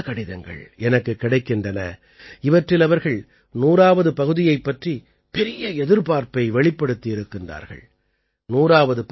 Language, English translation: Tamil, I have received letters from many countrymen, in which they have expressed great inquisitiveness about the 100th episode